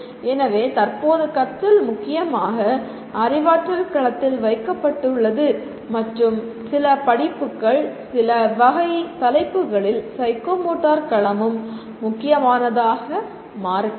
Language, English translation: Tamil, So at present the learning is dominantly is kept at cognitive domain and some courses, some type of topics, psychomotor domain may also become important